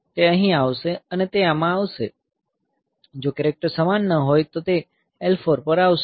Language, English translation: Gujarati, It will come here and it will come to this; if the characters are not same then it will come to L 4